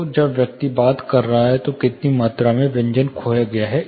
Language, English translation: Hindi, So, when the person is talking, how much amount of consonants is lost